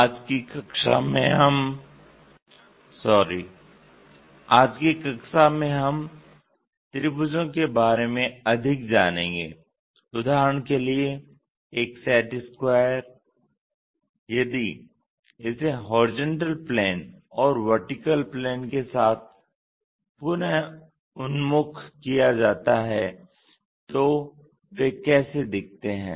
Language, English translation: Hindi, In today's class we will learn more about triangles for example, a set square if it is reoriented with horizontal planes and vertical planes, how do they really look like